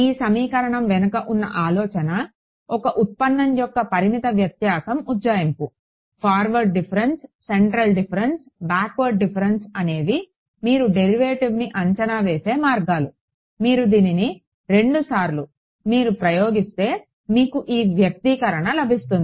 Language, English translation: Telugu, This is just by a I mean the idea behind this equation is finite difference approximation of a derivative; forward difference, central difference, backward different those are ways of approximating a derivative you applied two times you get this expression ok